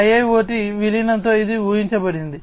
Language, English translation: Telugu, 0, with the incorporation of IIoT